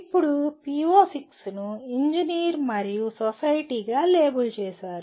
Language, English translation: Telugu, Now, PO6 is labeled as Engineer and Society